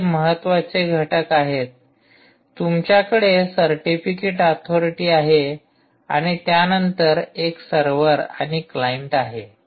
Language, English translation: Marathi, you have a certificate authority, and then this is a server and the client